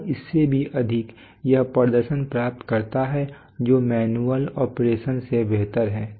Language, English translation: Hindi, And more than that it achieves performance which is superior to manual operation